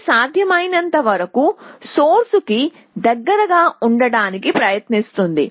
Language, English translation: Telugu, So, it tries to stick as close to the source as possible